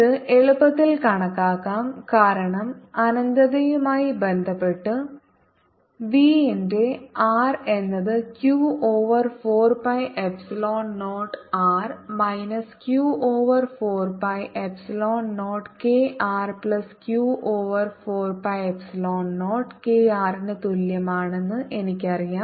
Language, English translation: Malayalam, so i get v at r minus v at r, for r less than equal to r is equal to q over four pi epsilon zero k one over r minus one over r, and therefore v of r is equal to v of capital r minus q over four pi epsilon zero k r plus q over four pi epsilon zero k r